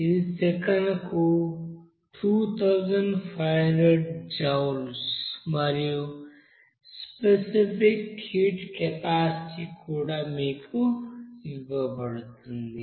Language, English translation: Telugu, It is given as 2500 joule per second and specific heat capacity is also given to you